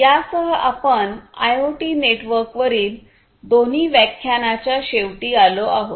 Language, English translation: Marathi, With this we come to an end of both the lectures on IoT networks